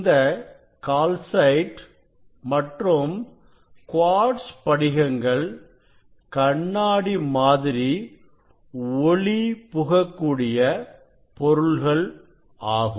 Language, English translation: Tamil, It is calcite crystals and quartz crystals; it is they are like glass